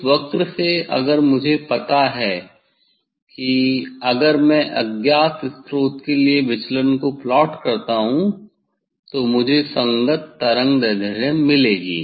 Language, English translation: Hindi, from that curve, if I know the if I plot the deviation for unknown source then, corresponding wavelength I will get this is the experiment